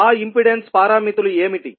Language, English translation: Telugu, What are those impedance parameters